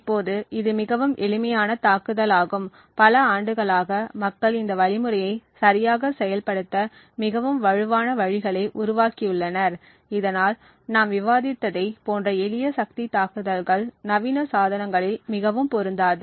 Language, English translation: Tamil, Now this is obviously a very simple attack and over the years people have developed much more stronger ways to implement exactly this algorithm and thus simple power attacks like the one we discussed are not very applicable in modern day devices